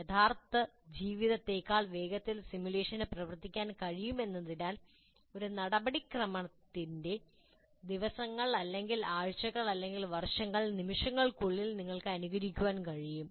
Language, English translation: Malayalam, As simulation can run through time much quicker than real life, you can simulate days, weeks or years of a process in seconds